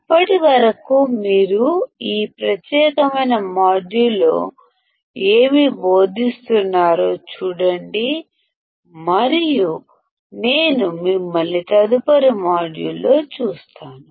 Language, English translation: Telugu, Till then you just look at what has being taught in this particular module and I will see you in the next module bye take care